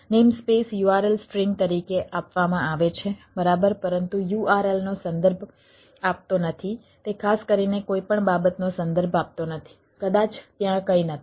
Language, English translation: Gujarati, the namespace is given as, as a url string, alright, but the url does not reference, does not reference anything in particular